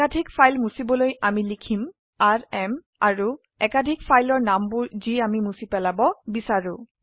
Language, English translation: Assamese, To delete multiple files we write rm and the name of the multiple files that we want to delete